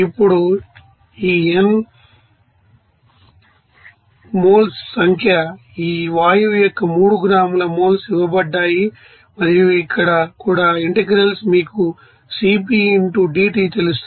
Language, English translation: Telugu, Now, this n is you number of moles here it is given that 3 gram moles of this gas and also here it is given that the integrals value will be you know Cp into dT